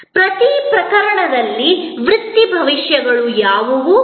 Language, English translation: Kannada, What are the career prospects in each case